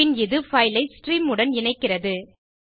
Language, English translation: Tamil, Then it links the file with the stream